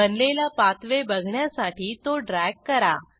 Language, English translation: Marathi, Drag to see the created pathway